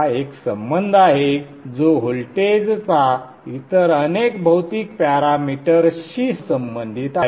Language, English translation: Marathi, This is one relationship which relates the voltage to many of the physical parameters